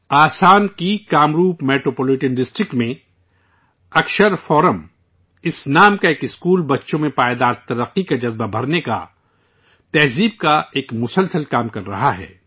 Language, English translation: Urdu, A school named Akshar Forum in Kamrup Metropolitan District of Assam is relentlessly performing the task of inculcating Sanskar & values and values of sustainable development in children